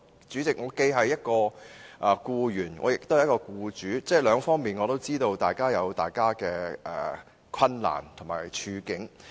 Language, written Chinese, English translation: Cantonese, 主席，我既是一名僱員，也是一名僱主，所以知道兩方面也各有自己的困難和處境。, President I am an employee on the one hand and an employer on the other . Hence I understand that they each have their difficulties in their positions